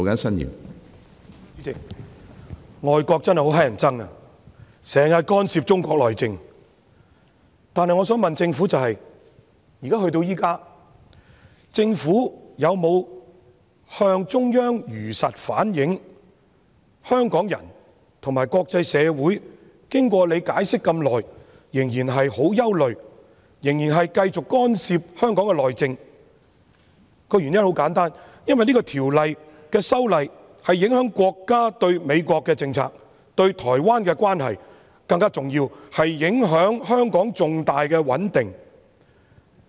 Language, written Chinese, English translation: Cantonese, 主席，外國真的很討厭，經常干涉中國內政，但我想問政府，至今政府有否向中央如實反映，香港人和國際社會經過局長這麼長時間解釋後，仍然很憂慮，仍然繼續干涉香港內政。原因十分簡單，因為這項《條例草案》的修訂影響國家對美國的政策、對台灣的關係，更重要的是影響香港重大的穩定。, President foreign countries are really annoying; they often interfere in Chinas internal affairs . However I would like to ask the Government whether it has so far truthfully reflected to the Central Authorities that despite such lengthy explanations by the Secretary both Hong Kong people and the international community remain deeply worried and interference in Hong Kongs internal affairs persists simply because the amendments in this Bill affect our countrys policy towards US its relationship with Taiwan and more importantly the crucial stability of Hong Kong